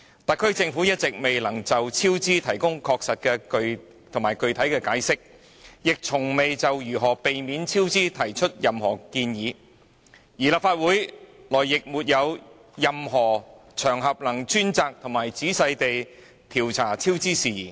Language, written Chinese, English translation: Cantonese, 特區政府一直未能確實具體地解釋超支原因，亦從未提出任何建議避免超支，而立法會內亦沒有任何場合供議員專責和仔細地調查超支事宜。, The SAR Government has hitherto failed to provide neither a definite and specific explanation for the cost overruns nor any suggestions to avoid them . And there are no other occasions in the Legislative Council for Members to investigate the cost overruns in a dedicated and meticulous manner